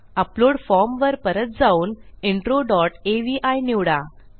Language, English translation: Marathi, So lets go back to the upload form and lets choose intro dot avi